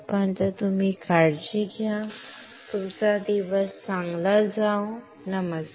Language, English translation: Marathi, Till then you take care, have a nice day, bye